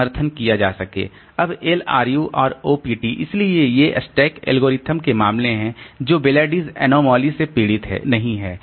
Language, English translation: Hindi, Now LRU and OPPT so these are cases of stack algorithms they do not suffer from Belaide's anomaly